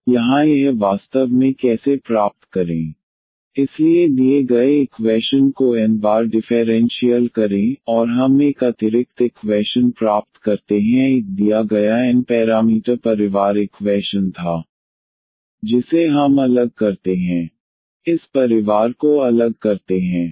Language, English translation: Hindi, So, here how to get this actually, so differentiate the given equation n times; and we get an additional equations there was a given n parameter family equation we differentiate keep on differentiating this family